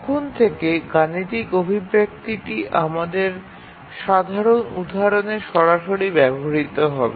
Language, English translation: Bengali, So from now onwards all our examples we will use the mathematical expression directly